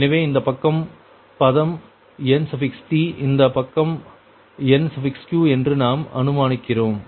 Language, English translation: Tamil, right, so we assume this side term is nt, this side nq